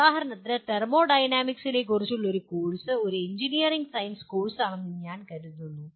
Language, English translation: Malayalam, Like for example a course on thermodynamics I would consider it constitutes a engineering science course